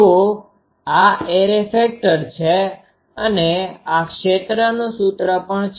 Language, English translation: Gujarati, So, this is array factor and this is also field expression